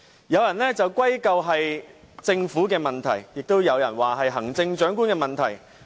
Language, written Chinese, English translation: Cantonese, 有人歸咎是政府的問題，亦有人說是行政長官的問題。, Some put the blame on the Government while some others ascribe all this to the Chief Executive